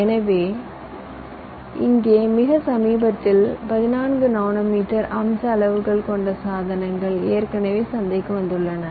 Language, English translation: Tamil, so here, very decently, devices with fourteen nanometer feature sizes have already come to the market